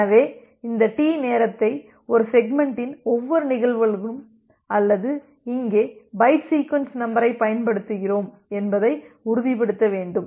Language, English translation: Tamil, So, you need to ensure that with this time out duration T, every instances of a segment or here we are using byte sequence number